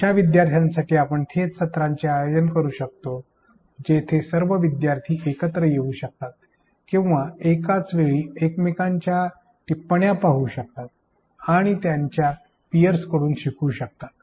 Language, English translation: Marathi, Conducting live sessions for learners where all learners can come together or at one time point view each other’s comments, queries and learn from their peers